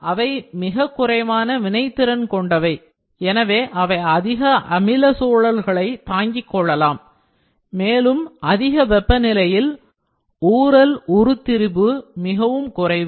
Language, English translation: Tamil, They are very less reactive, so they can endure high acidic environments and also at high temperature is the creep deformation is very less